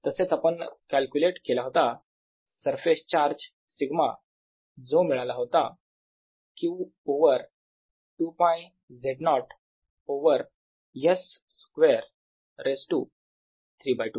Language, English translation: Marathi, we also calculated the surface charge sigma, which came out to be q over two, pi, z naught over s square plus z naught square raise to three by two